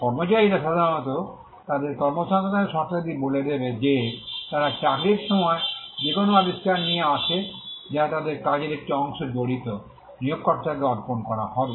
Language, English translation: Bengali, Employees normally, their terms of employment will says, will would state that any invention that they come up with during the course of employment which involves a part of their work, will be assigned to the employer